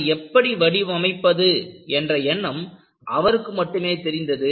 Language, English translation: Tamil, Only, he had the idea, how to design it